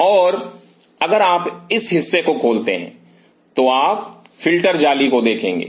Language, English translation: Hindi, And inside if you open this part you will see the filter mesh